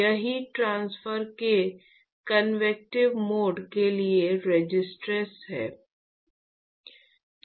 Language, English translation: Hindi, It is the resistance for convective mode of heat transport